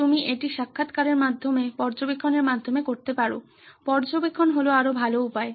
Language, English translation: Bengali, You can either do it through interviews, through observations, observations are much better way